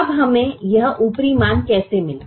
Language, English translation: Hindi, now how did we get this upper estimate